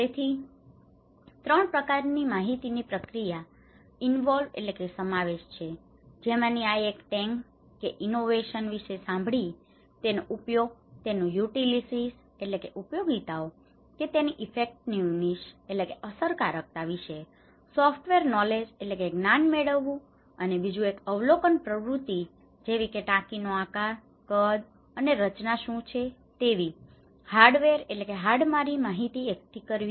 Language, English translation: Gujarati, So, 3 kind of information, activities they can involve, one is hearing that is hearing about the tank or innovations and to collect its software knowledge like it’s function, it’s utilities, it’s effectiveness, another one is observations activity like collecting hardware information, what is the shape, size and structure of that tank